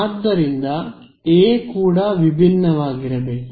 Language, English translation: Kannada, So, A also should be unique right